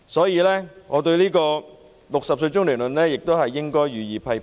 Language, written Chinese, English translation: Cantonese, 因此，我對 "60 歲中年論"亦予以批評。, Therefore I also voice my criticism against the saying that 60 years old is being middle - aged